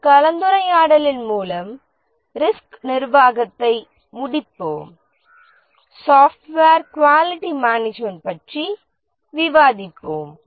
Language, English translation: Tamil, With this discussion we will conclude the risk management and we will discuss about software quality management